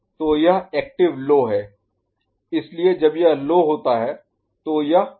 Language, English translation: Hindi, So, that is active low so when it is low it is becoming high right